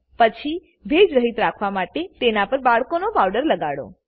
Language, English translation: Gujarati, Then apply some baby powder over it to keep it moisture free